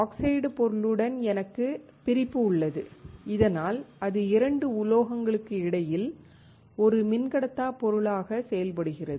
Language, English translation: Tamil, I have separation with the oxide material so that it acts as an insulating material between 2 metals